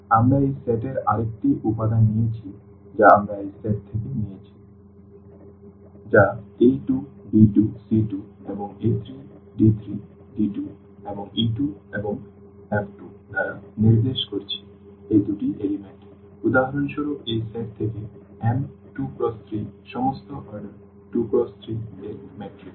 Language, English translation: Bengali, We have taken another element of this set which we are denoting by a 2 b 2 c 2 and a 3 d 3 d 2 and e 2 and f 2 these are the two elements for example, from this set here M 2 by 3 are all matrices of order a 2 by 3